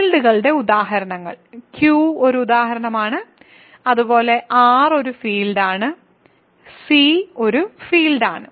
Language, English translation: Malayalam, So, examples of fields are, Q is a field because of the example I did, similarly R is a field C is a field; so, are fields